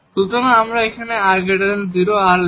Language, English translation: Bengali, So, let us assume here r is positive, r can be negative